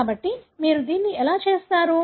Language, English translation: Telugu, So, that is how you do it